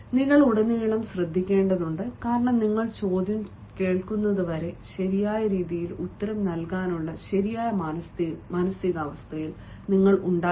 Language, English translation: Malayalam, you need to listen through out because unless and until you listen to the question, you will not be in the proper frame of mind to answer in the right way